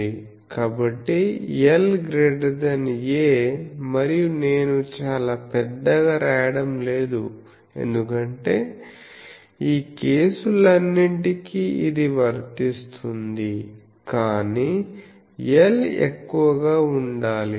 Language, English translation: Telugu, So, l is greater than a, and I am not writing much greater, because this is applicable for all these cases, but l should be greater